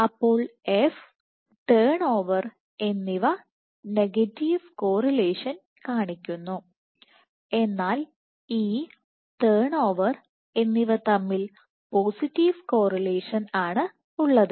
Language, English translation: Malayalam, So, F and turn over are negatively correlated while E and turn over are positively correlated